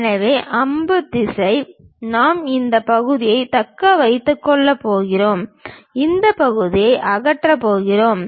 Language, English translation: Tamil, So, the arrow direction represents we are going to retain this part and we are going to remove this part